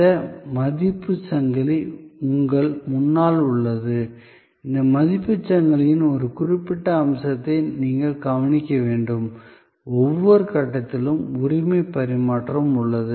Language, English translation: Tamil, So, this value chain that is in front of you, you have to notice one particular feature of this value chain, is that at every stage there is a transfer of ownership